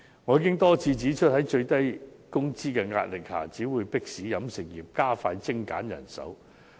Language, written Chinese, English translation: Cantonese, 我已多次指出，在最低工資的壓力下，只會迫使飲食業加快精簡人手。, I have pointed out repeatedly that under pressure from minimum wage the catering industry will only be compelled to expedite the streamlining of manpower